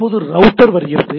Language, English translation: Tamil, So, and then comes the router